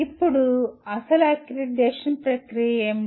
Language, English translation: Telugu, Now, what is the actual accreditation process